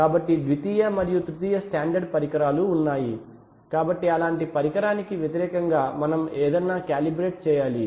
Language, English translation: Telugu, So therefore there are secondary and tertiary standard equipment so anything we have to be calibrated against such an instrument